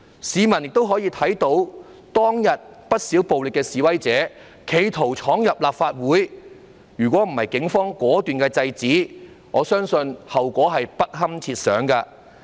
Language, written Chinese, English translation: Cantonese, 市民亦可以看到，當天不少暴力示威者企圖闖入立法會，如果不是警方果斷制止，我相信後果是不堪設想的。, The public could also see that on that day quite a number of violent protesters attempted to break into the Legislative Council Complex . Had the Police not stopped them resolutely I think the consequences could have been dire